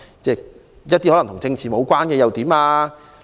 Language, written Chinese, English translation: Cantonese, 說一個與政治無關的例子。, Let me cite a case unrelated to politics